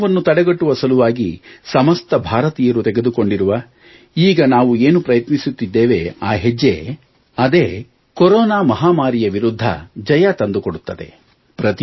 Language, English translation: Kannada, The steps being taken by Indians to stop the spread of corona, the efforts that we are currently making, will ensure that India conquers this corona pandemic